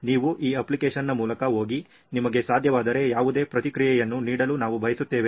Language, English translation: Kannada, We would like you to go through this app and give any feedback if you can